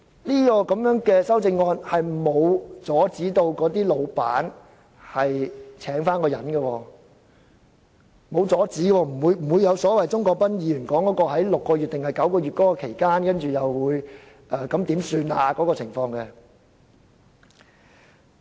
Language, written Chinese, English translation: Cantonese, 這組修正案並無阻止僱主另聘員工，所以不會如同鍾國斌議員所說，僱主有6個月或9個月不知道如何營運的情況。, As this group of amendments does not prohibit the employer from engaging a replacement the scenario described by Mr CHUNG Kwok - pan will not happen that is employers may have great difficulties in running his business for a period of six to nine months